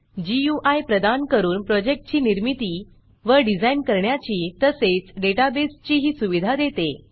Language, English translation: Marathi, It also provides GUI to create and design projects and also supports databases